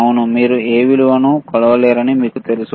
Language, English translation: Telugu, Is it you know you cannot measure any value